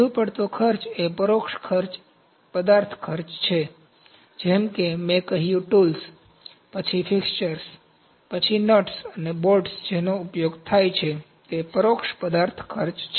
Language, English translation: Gujarati, Over cost is the indirect material cost like I said tools, then fixtures, then nuts and bolts which are used that is indirect material cost